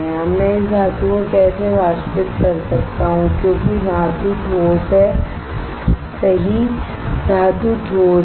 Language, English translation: Hindi, Now how I can evaporate this metal because metal is solid right metal is solid